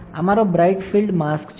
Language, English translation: Gujarati, This is my bright field mask